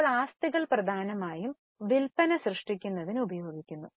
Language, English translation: Malayalam, Now the assets are being used mainly for generating sales